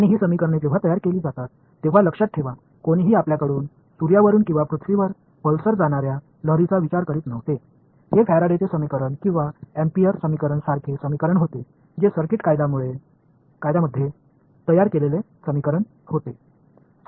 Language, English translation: Marathi, And, keep in mind these equations when they were formulated nobody was thinking about a wave of traveling from you know sun to earth or from some pulsar to earth; these equations like Faraday’s equation or amperes equation it was an equation built on circuit laws right